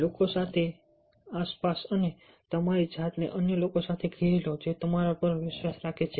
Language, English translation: Gujarati, surround yourself with others who believe in you as well